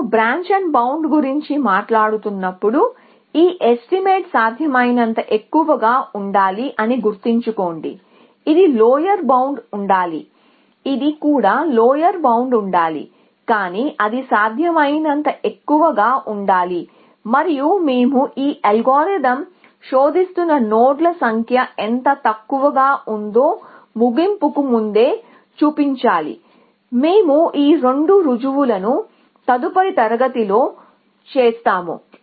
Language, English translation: Telugu, So, remember that when we were talking about branch and bound we say that this estimate must be as high as possible, it must be a lower bound even this is a lower bound, but it must be as high as possible, and we will formally show that the higher the estimate the lesser the number of nodes that this algorithm will search before termination essentially, we will do that these two formal things in the next class